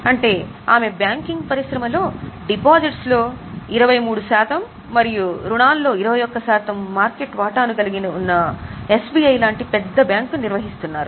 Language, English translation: Telugu, Now Arundati ji is managing a bank as big as SBI, which has a market share of 23% in deposit and 21% in advance